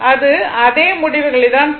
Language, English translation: Tamil, It will give you the same result